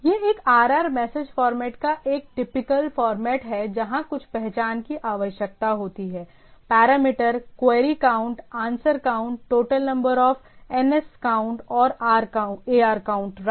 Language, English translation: Hindi, This is a typical format of a RR message format where some identification is required, parameter, query count, answer count, a total number of NScount and ARcount right